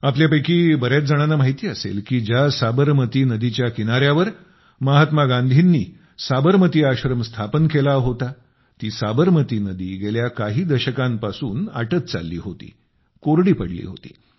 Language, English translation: Marathi, Many of you might be aware that on the very banks of river Sabarmati, Mahatma Gandhi set up the Sabarmati Ashram…during the last few decades, the river had dried up